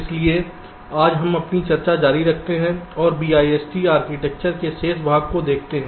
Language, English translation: Hindi, ok, so today we continue our discussion and look at the remaining part of the bist architecture